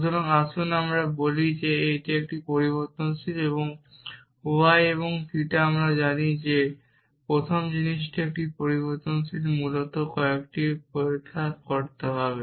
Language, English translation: Bengali, So, let us say this is a variable and y and theta we know that the first thing is a variable essentially we have to do a few checks